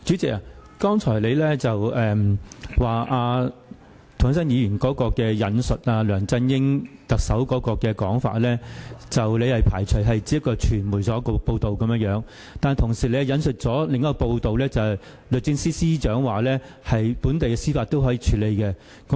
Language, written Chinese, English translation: Cantonese, 主席，你剛才說涂謹申議員引述梁振英特首的說法，所謂"不排除釋法"只是傳媒的報道，但你同時引述了另一份報道，指出律政司司長說本地的司法制度可以作出處理。, President referring to LEUNG Chun - yings words does not rule out an interpretation of the Basic Law as quoted by Mr James TO you said that these were just some words reported by the media . But at the same time you quoted another media report that the Secretary for Justice viewed that the matter could be resolved within the local judicial system